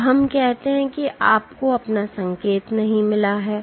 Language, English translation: Hindi, Now let us say you have not gotten your signal